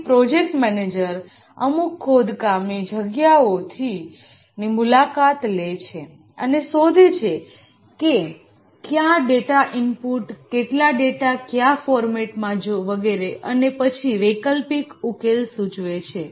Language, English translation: Gujarati, So the project manager visits some mindsites, finds out what data to be input, how many data, what format, and so on, and then suggests alternate solutions